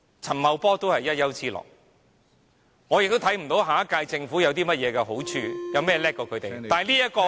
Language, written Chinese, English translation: Cantonese, 陳茂波都是一丘之貉，我亦看不到下屆政府有甚麼優點比他們優勝......, Paul CHAN is just as bad as the others and I do not see how the next Government is in any way better than this Government